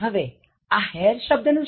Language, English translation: Gujarati, Now, what about this word hair